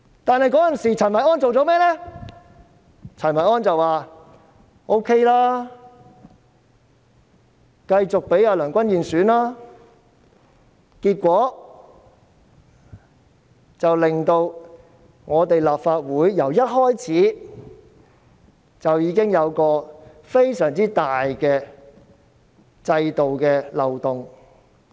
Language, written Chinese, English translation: Cantonese, 當時，陳維安卻說 OK， 繼續讓梁君彥參加主席選舉，結果令本屆立法會一開始時就出現非常大的制度漏洞。, At that time Kenneth CHEN continued to allow Andrew LEUNG to run for the President election . Consequently there is a very serious loophole in the system since the start of the current Legislative Council term